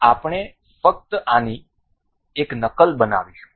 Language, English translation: Gujarati, And we will make let us just make a copy of this